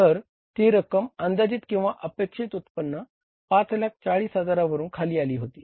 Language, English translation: Marathi, So, it has come down from the estimated or the expected income of the $540,000